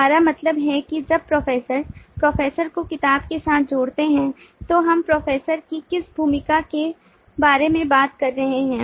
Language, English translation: Hindi, we mean: see that when root associates professor with book, then which role of the professor are we talking about